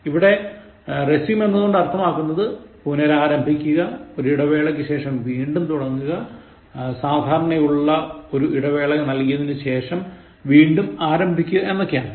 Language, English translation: Malayalam, Now, resume here means to restart or continue after a break, to begin, to commence after usually giving a short break